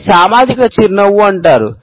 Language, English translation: Telugu, This is known as a social smile